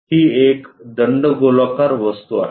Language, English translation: Marathi, It is a cylindrical object